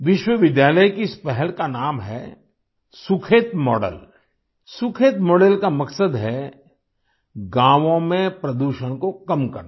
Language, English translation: Hindi, The name of this initiative of the university is "Sukhet Model" The purpose of the Sukhet model is to reduce pollution in the villages